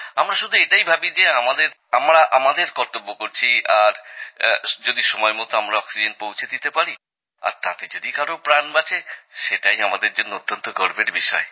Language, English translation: Bengali, For us, it's just that we are fulfilling our duty…if delivering oxygen on time gives life to someone, it is a matter of great honour for us